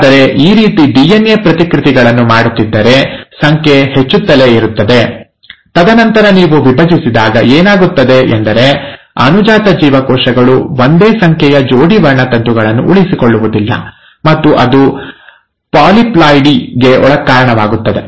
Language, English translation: Kannada, But, if it goes on doing these rounds of DNA replications, number goes on increasing, and then when you divide, what will happen is, the daughter cells will not retain the same number of pairs of chromosomes, and that will lead to ‘polyploidy’